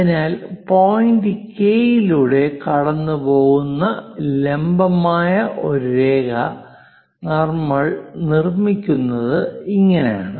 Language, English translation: Malayalam, So, this is the way we construct a perpendicular line passing through point K